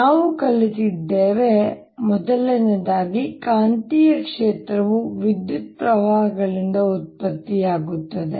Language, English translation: Kannada, we have learnt that one magnetic field is produced by electric currents